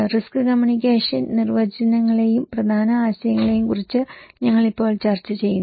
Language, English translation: Malayalam, Now, we are discussing about the risk communication definitions and core ideas